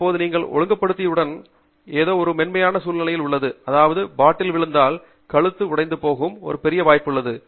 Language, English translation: Tamil, So, now, once you put the regulator, this is, the neck is in a delicate situation, meaning if the bottle were to fall, there is a great chance that the neck can break